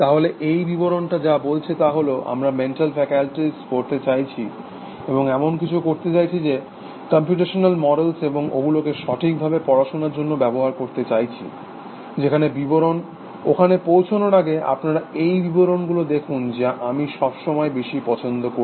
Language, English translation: Bengali, So, what this definitions says is that, we want to study mental faculties, and to do that we will be computational model, and use them for the studies actually, where definition, which I like most, before I come to that, look at these definitions